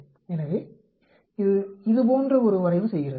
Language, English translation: Tamil, So, it is plotting something like this